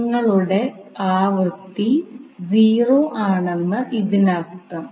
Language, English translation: Malayalam, So it means that your frequency is 0